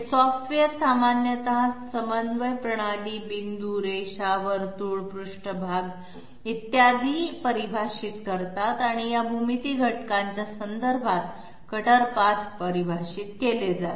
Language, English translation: Marathi, These software generally define coordinate systems, points, lines, circles surfaces etc and the cutter paths are defined with respect to these geometry elements it will be ultimately finding out G and M codes